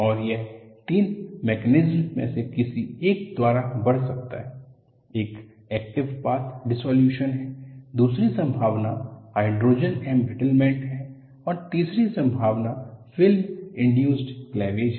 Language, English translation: Hindi, And this could advance by any of the 3 mechanisms; 1 is active path dissolution; the second possibility is Hydrogen embrittlement; and third possibility is film induced cleavage